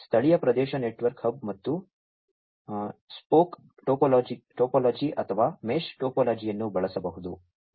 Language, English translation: Kannada, The local area network may use a hub and spoke topology or, a mesh topology